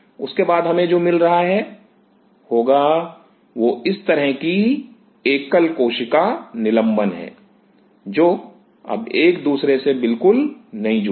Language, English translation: Hindi, What we will be getting after that will be suspension single cells like this which are no more adhere to each other